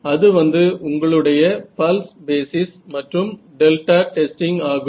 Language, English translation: Tamil, So, that is or that is your pulse basis and delta testing ok